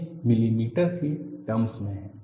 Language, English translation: Hindi, It is in terms of millimeters